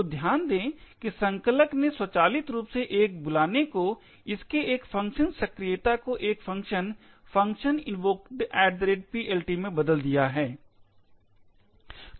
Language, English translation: Hindi, So, note that the compiler has automatically changed a call, a function invocation to this, to a function, the function invocation at PLT